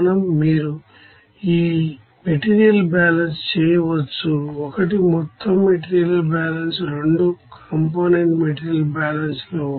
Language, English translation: Telugu, Again you can do this material balance one is for overall material balance plus one of the two component material balance